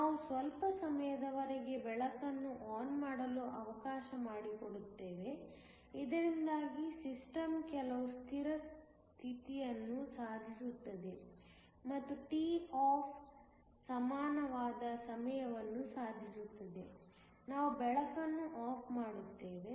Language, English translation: Kannada, We let the light be on for some time so that, the system achieves some steady state and a time equal to toff, we turn off the light